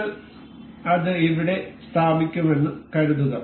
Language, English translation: Malayalam, Let us suppose we will place it here